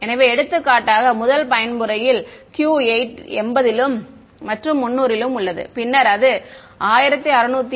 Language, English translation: Tamil, So, for example, the first mode have the Q of 80 then 300 and then 1677